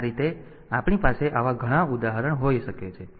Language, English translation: Gujarati, So, that way we can have many such examples